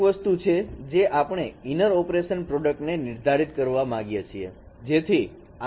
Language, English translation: Gujarati, So one of the thing that we would like to define here this operation, inner product